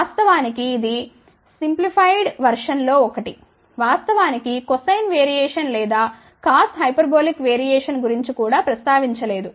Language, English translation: Telugu, In fact, this is the one of the simplified version of that which actually speaking does not even mention anything about cosine variation or cos hyperbolic variation